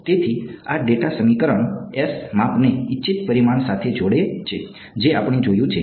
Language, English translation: Gujarati, So, this data equation s is connecting the measurements to the desired parameter we have seen that